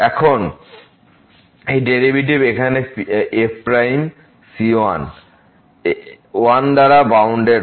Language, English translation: Bengali, Now, this derivative here prime is bounded by